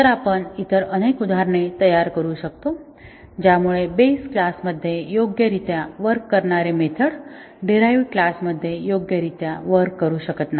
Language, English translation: Marathi, So, we can construct many other examples which, so that the method which works correctly in a base class fails to work correctly in the derived class